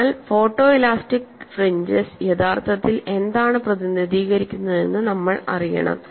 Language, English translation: Malayalam, So, we have to know what the photo elastic fringes really represent